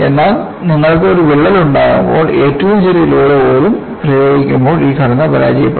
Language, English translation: Malayalam, So, it is not that, when you have a crack, when you apply even smallest load, this structure is going to fail